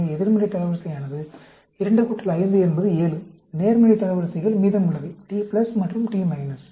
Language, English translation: Tamil, So, negative rank is 2 plus 5 is 7; positive ranks, rest of them, T plus and T minus